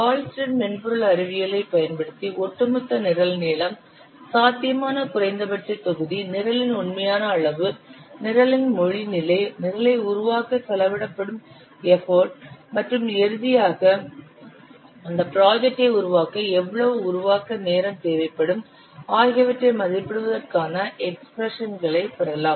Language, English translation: Tamil, Using Hullstead software science, you can derive expressions for estimating the overall program length, the potential minimum volume, the actual volume of the program, the language level of the program, the effort that will be spent to develop the program, and finally how much development time will be required to develop that program